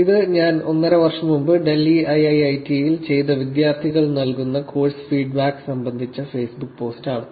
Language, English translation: Malayalam, This is the Facebook post, I did about a year and half back which is regarding the course feedback that students give us at IIIT, Delhi